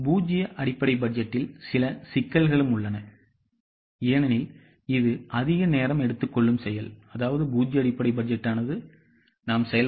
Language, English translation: Tamil, There are also some problems in zero based budgeting because it's a very much time consuming process